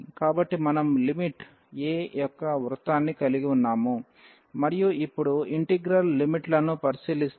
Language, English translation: Telugu, So, we have the circle of radius a and now if we look at the integral limits